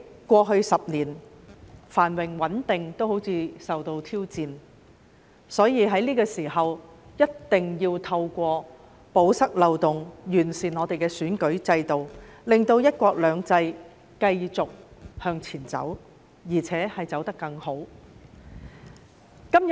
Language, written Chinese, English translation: Cantonese, 過去10年，香港的繁榮穩定似乎也受到挑戰，所以在這個時候，一定要透過堵塞漏洞，完善我們的選舉制度，令"一國兩制"繼續向前走，而且走得更好。, It seems that Hong Kongs prosperity and stability have been challenged over the past decade . Hence we must plug the loopholes at this juncture to improve our electoral system so that one country two systems can go on and lead us to a better future